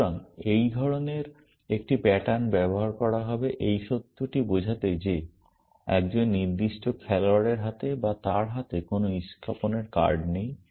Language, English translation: Bengali, So, such a pattern would be used to describe the fact that a given player does not have any spade cards in his or hand, her hand